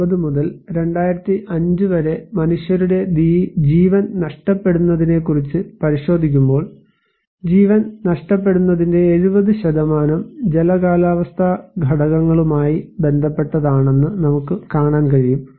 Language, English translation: Malayalam, Also, when we are looking into the loss of human life from 1980 to 2005, we can see that nearly 70% of loss of life are related to hydro meteorological factors